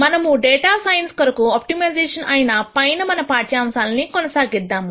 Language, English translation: Telugu, Let us continue our lectures on optimization for data science